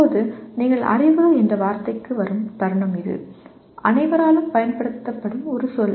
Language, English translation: Tamil, Now, the moment you come to the word knowledge it is a word that is used by everyone quite comfortably